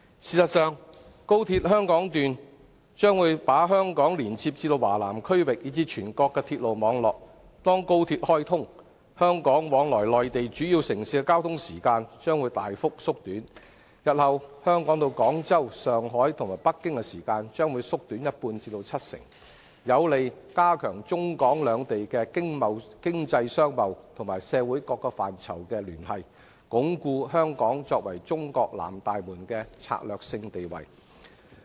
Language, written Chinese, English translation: Cantonese, 事實上，在開通後，高鐵香港段將把香港連接至華南區域，以至全國鐵路網絡，屆時香港往來內地主要城市的交通時間，將會大幅縮短，日後由香港到廣州、上海和北京的時間，將會縮短一半至七成，有利加強中港兩地經濟商貿及社會各個範疇的聯繫，鞏固香港作為中國南大門的策略性地位。, By then the time needed to travel between Hong Kong and major cities in the Mainland will be shortened substantially . In future the travel time from Hong Kong to Guangzhou Shanghai or Beijing will variably be reduced by half or even up to 70 % . This will help reinforce the connection between Hong Kong and the Mainland in terms of the economy commerce trade and various other social aspects with a view to entrenching Hong Kongs strategic position as a southern gateway to China